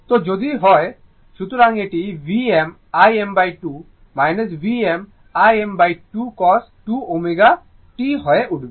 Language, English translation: Bengali, So, it will become V m I m by 2 minus V m I m by 2 cos 2 omega t